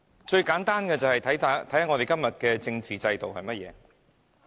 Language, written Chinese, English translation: Cantonese, 最簡單的例子，是今天的政治制度。, The simplest explanation is the current political system